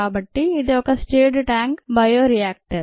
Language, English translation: Telugu, so that is a stirred tank bioreactor